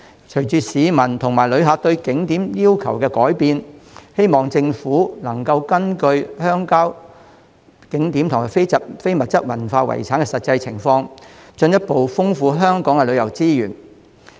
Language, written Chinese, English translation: Cantonese, 隨着市民和旅客對景點要求的改變，我希望政府能根據鄉郊景點和非遺的實際情況，進一步豐富香港的旅遊資源。, As what the public and tourists look for from attractions has changed I hope that the Government can further enrich the tourism resources in Hong Kong according to the actual condition of the rural attractions and ICH